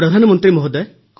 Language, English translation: Odia, Prime Minister …